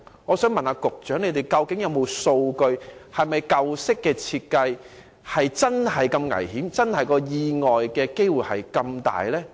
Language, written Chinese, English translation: Cantonese, 我想問局長，究竟有否數據顯示，舊式較危險設計的遊樂設施釀成意外的機會真的較大？, I want to ask the Secretary if there is any data to show that play facilities of more dangerous designs did stand a greater chance of giving rise to accidents